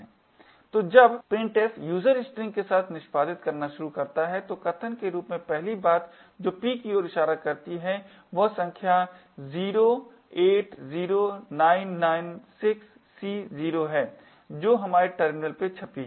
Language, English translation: Hindi, So, when printf starts to execute with user string as the argument the first thing p would be pointing to is this number 080996C0 which gets printed on our terminal